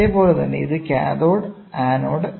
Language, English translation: Malayalam, So, you have an anode